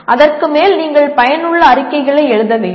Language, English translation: Tamil, And on top of that you should be able to write effective reports